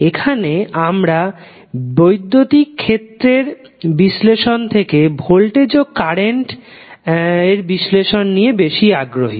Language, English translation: Bengali, There we are more interested in about analysing voltage and current than the electric field